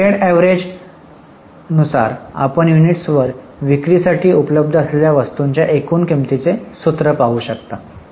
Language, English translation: Marathi, So, the weighted average, you can see the formula, the total cost of goods available for sale upon the units